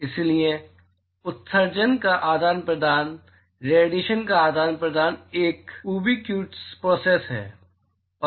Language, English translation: Hindi, So, therefore, exchanging emission, exchanging radiation is a ubiquitous process, exchanging radiation is ubiquitous